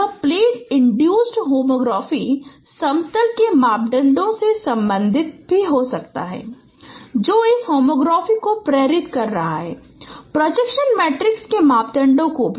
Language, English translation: Hindi, This plane induced homography is can be related with the parameters of the plane which is inducing this homography and also the the parameters of the projection matrices